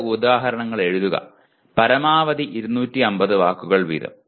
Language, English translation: Malayalam, Write two instances, maximum 250 words each